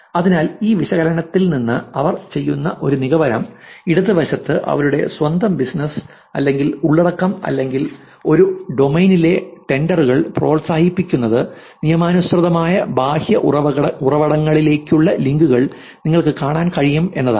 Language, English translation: Malayalam, So, the one some conclusion that they do from this analysis is that on the left you see LF, you can see that promoting their own business or content or trends in a domain, links to legitimate external sources